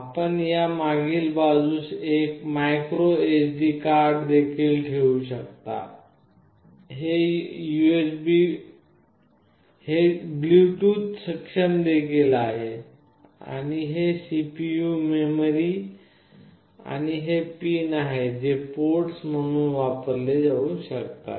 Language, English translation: Marathi, You can also put a micro SD in this back side, it is also Bluetooth enabled, and this is the CPU, the memory, and these are the pins that can be used as ports